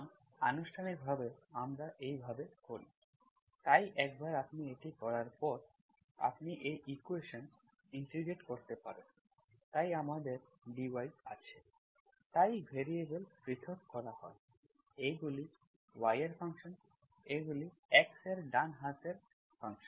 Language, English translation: Bengali, So formally we do like this, so once you do this, you can integrate this equation, so we have DY, so variables are separated, these are functions of y, these are functions of, right sided is function of X